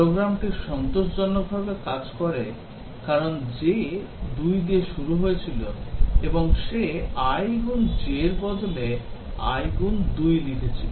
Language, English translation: Bengali, The program works satisfactorily because j was initialized to 2 and he wrote i into 2 in place of i into j